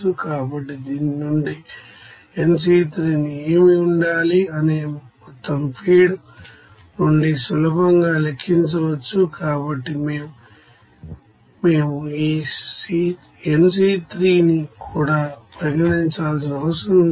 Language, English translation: Telugu, So from this you can easily calculate from the total amount of feed what should the nC1, so we have not to consider this nC1here also